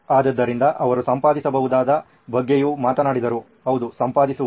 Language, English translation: Kannada, So he also talked about editable, being editable, yeah